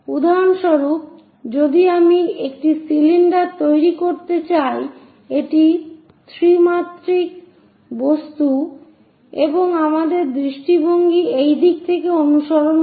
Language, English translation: Bengali, For example, if I would like to construct a cylinder; this is the 3 dimensional object and our view follows from this direction